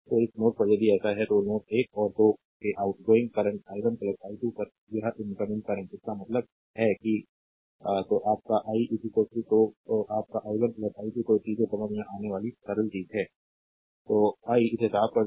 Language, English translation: Hindi, So, at this node if you write so, this incoming current at node 1 i and 2 outgoing current i 1 plus i 2; that means, your i is equal to your i 1 plus i 2, right